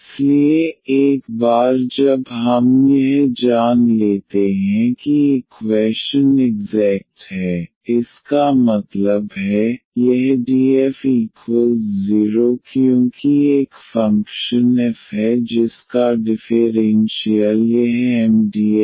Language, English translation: Hindi, So, once we know that the equation is exact that means, this df is equal to 0 because there is a function f whose differential is this Mdx plus Ndy